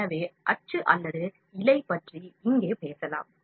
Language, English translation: Tamil, So, we can talk about print or filament here